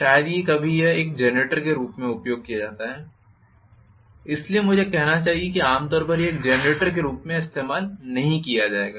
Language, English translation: Hindi, Okay, very very rarely, hardly ever it is used as a generator so I should say normally not used as a generator